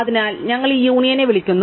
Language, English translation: Malayalam, So, we call this union, right